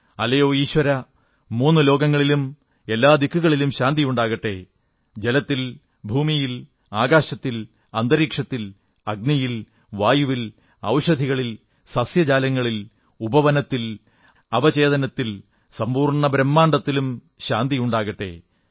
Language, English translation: Malayalam, It means O, Lord, peace should prevail all around in all three "Lokas",in water, in air, in space, in fire, in wind, in medicines, in vegetation, in gardens, in sub conscious, in the whole creation